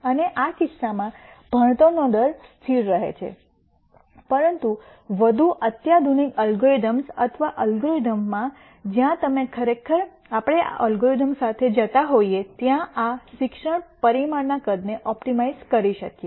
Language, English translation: Gujarati, And in this case the learning rate remains constant, but in more sophisticated algorithms or algorithms where you could actually optimize the size of this learning parameter as we go along in the algorithm